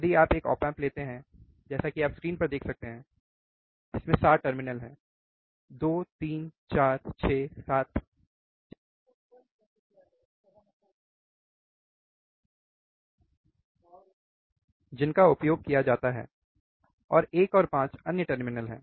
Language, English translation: Hindi, If you take a single of op amp, then as you seen see on the screen the there are 7 terminals 2, 3, 4, 6, 7 which are which are used and 1 and 5 are other terminals